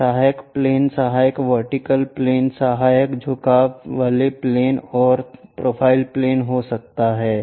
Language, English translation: Hindi, These auxiliary planes can be auxiliary vertical planes, auxiliary inclined planes and profile planes